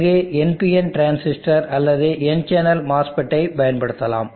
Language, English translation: Tamil, I can use NPN transistor or N channel mass fit there